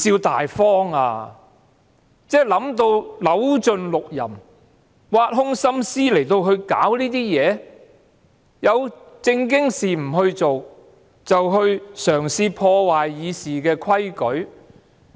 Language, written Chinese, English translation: Cantonese, 他可謂扭盡六壬，挖空心思來搞這些事情，有正經事情不做，卻嘗試破壞《議事規則》。, He has searched every trick and racked his brain for this matter . But instead of finding a decent option he has opted for a way that undermines the Rules of Procedure